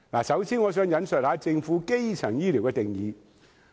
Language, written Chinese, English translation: Cantonese, 首先，我想引述政府對基層醫療的定義。, First I wish to quote the Governments definition of primary health care services